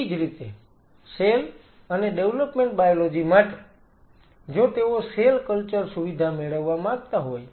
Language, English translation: Gujarati, Similarly, cell and development biology, if they want to have a cell culture facility